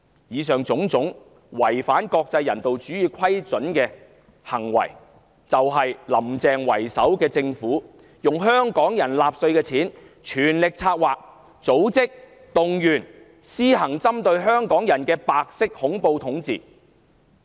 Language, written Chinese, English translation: Cantonese, 以上種種違反國際人道主義準則的行為都是"林鄭"為首的政府用香港人繳納的稅款全力策劃、組織及動員的，無非為了針對香港人施行白色恐怖統治。, The aforesaid acts which violate international humanitarian standards have been engineered organized and mobilized by the Government headed by Carrie LAM with the tax paid by Hongkongers as an all - out effort to subject Hongkongers to the reign of white terror